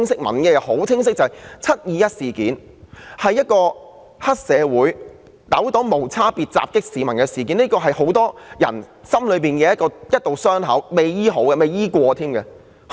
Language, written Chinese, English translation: Cantonese, 民意非常清晰，"七二一"是黑社會糾黨無差別地襲擊市民的事件，亦是很多人心中一道未治癒甚或從未治療的傷口。, The public opinion is very clear . 21 July is an incident in which triads have indiscriminately attacked the public and it is also a wound in many peoples hearts that remains uncured or is never treated